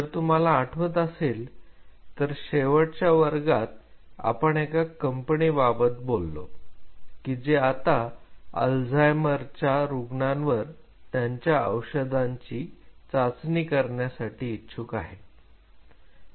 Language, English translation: Marathi, So, if you remember in the last class we talked about our case study where a company who has a set of molecules or drug molecules which it wishes to test for Alzheimer patients